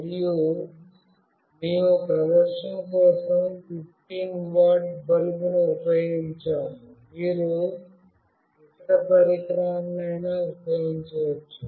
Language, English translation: Telugu, And we have used a 15 watt bulb for demonstration, you can use any other device